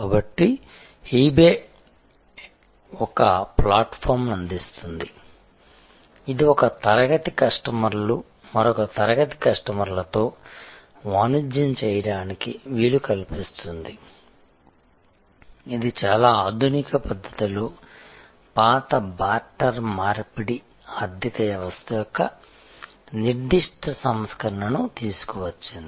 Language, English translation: Telugu, So, eBay provides a platform, which allows one class of customers to deal with another class of customers to do commerce, which in a very modern way has brought about a certain version of the old barter economy